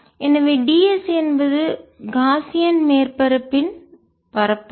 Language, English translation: Tamil, so d s is the surface area of the gaussian surface